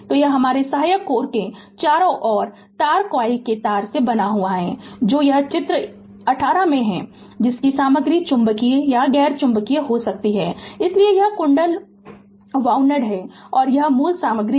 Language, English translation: Hindi, So, it is composed of a coil of wire wound around it your supporting core that is this figure this is figure 18 right; whose material may be magnetic or non magnetic, so this is coil wound and this is the core material